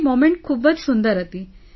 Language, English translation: Gujarati, That moment was very good